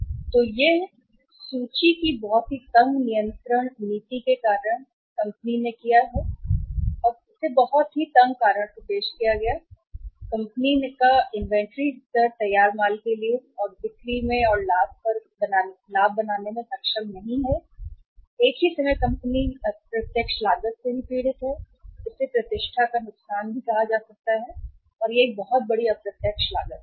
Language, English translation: Hindi, And this has happened because of the tight very tight inventory control or a tightened inventory control policy which the company has introduced in the past and because of a very tight inventory level of the finished goods company is not able to make the sales and and the profits and at the same time company is is suffering from the indirect cost also, say loss of the reputation and that is a very huge indirect cost